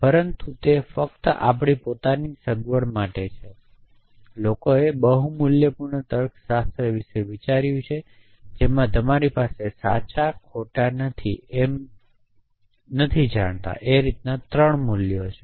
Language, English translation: Gujarati, But that is only for our own convenience, but people have thought about multi valued logics somebody says may be you should have 3 values true false